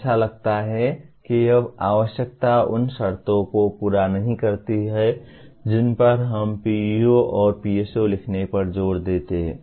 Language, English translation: Hindi, It looks like this requirement is, does not fulfill the conditions that we have been emphasizing in writing PEOs and PSOs